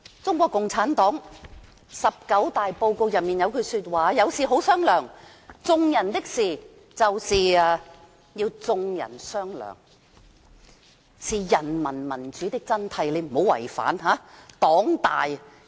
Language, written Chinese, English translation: Cantonese, 中國共產黨"十九大報告"中有句話："有事好商量，眾人的事情由眾人商量，是人民民主的真諦。, A line in the report of the 19 National Congress of the CPC reads Dialogue is good for society . People should engage in dialogues to discuss their own business . This is the true essence of democracy